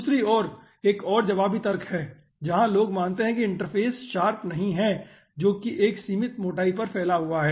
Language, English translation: Hindi, on the other hand, another aah counter aah argument is there where people consider that the interface is not sharp, that is diffused over as finite thickness